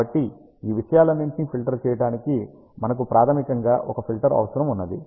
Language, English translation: Telugu, So, we basically need a filter to filter out all these things